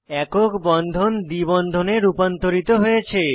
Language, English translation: Bengali, Observe that the single bond is converted to a double bond